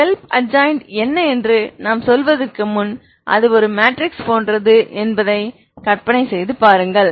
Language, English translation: Tamil, So before I say what iss the self adjoint you imagine it is like a L is a like a matrix